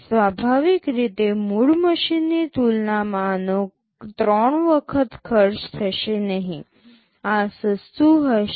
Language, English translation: Gujarati, Naturally this will not be costing three times as compared to the original machine, this will be cheaper